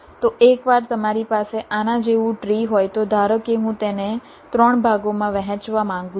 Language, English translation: Gujarati, so once you have a tree like this, suppose i want to divide it up into three parts